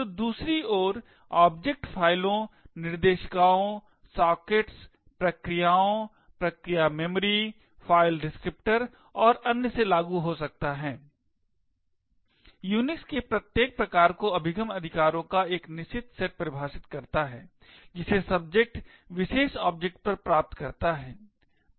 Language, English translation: Hindi, So, object on the other hand can vary from files, directories, sockets, processes, process memory, file descriptors and so on, each flavour of Unix defines a certain set of access rights that the subject has on the particular objects